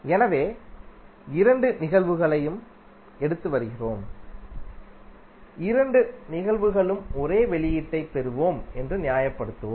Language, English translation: Tamil, So we are taking both of the cases and we will justify that in both of the cases we will get the same output